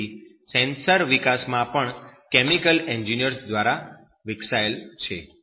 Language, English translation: Gujarati, so this sensor development it is actually being developed by this chemical engineers also